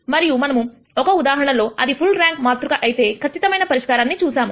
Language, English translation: Telugu, And we saw that one case is an exact solution if it is a full rank matrix